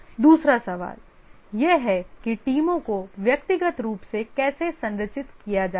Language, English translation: Hindi, And then the second thing is the individual teams, how are they structured